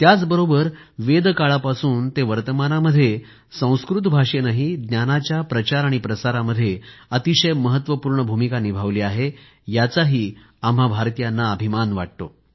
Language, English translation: Marathi, We Indians also feel proud that from Vedic times to the modern day, Sanskrit language has played a stellar role in the universal spread of knowledge